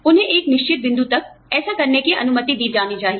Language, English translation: Hindi, They should be allowed, to do that, up to a certain point